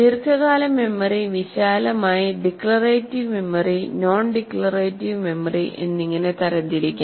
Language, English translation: Malayalam, Now here, the long term memory can be broadly classified into declarative memory and non declarative memory